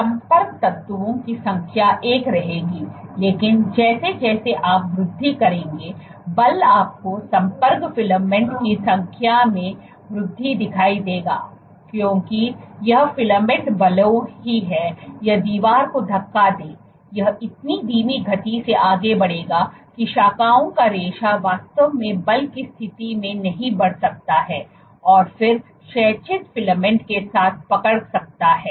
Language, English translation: Hindi, So, the number of contacting filaments will remain one, but as you increase the; you know the force you will see an increase in the number of contacting filaments, because this filament even if it pushes the wal, it will push so slowly that the branching filament can actually grow under no force conditions and then catch up with the horizontal filament